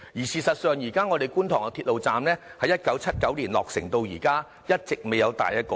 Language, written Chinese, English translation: Cantonese, 事實上，觀塘鐵路站在1979年落成至今，一直未有大的改動。, Actually Kwun Tong Station has never undergone any large - scale modification since its completion in 1979